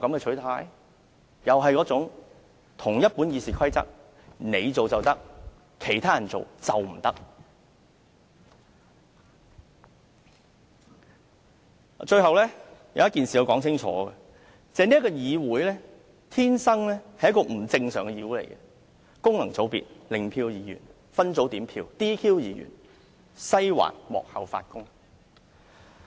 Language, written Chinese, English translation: Cantonese, 最後，有一點我必須說清楚，那就是這個議會天生是一個不正常的議會：功能界別、零票議員、分組點票、"DQ" 議員、"西環"幕後發功。, Lastly I must make one point clear . This Council is intrinsically abnormal functional constituencies Members with zero vote split voting disqualification of Members and the influence of the Western District behind the scenes